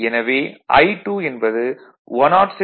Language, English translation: Tamil, So, it will become 106